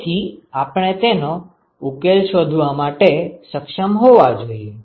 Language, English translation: Gujarati, So, we should be able to find the solution